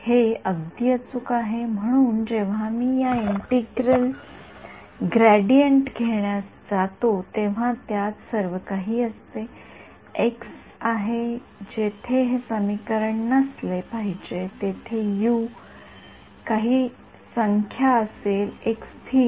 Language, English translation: Marathi, Its exact, so when I go to take the gradient of this, it has everything inside it there is a x where it should be unlike this equation where U appears to be just some number some constant right